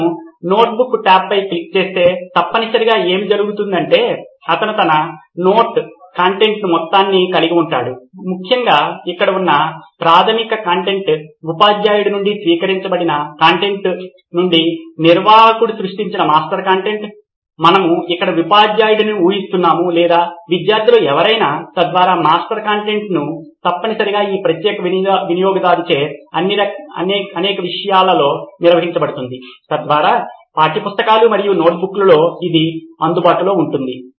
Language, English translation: Telugu, If he clicks on the notebook tab what essentially happens is he will have all his note content essentially the primary content here would be the master content that the administrator has created out of the content that is received from either the teacher, we are assuming teacher here or any of the student, so that master content would essentially be organised into several subjects by this particular user, so that is what would be available in textbooks and notebooks